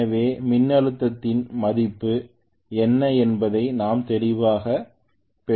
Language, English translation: Tamil, So I have got clearly what is the value of the voltage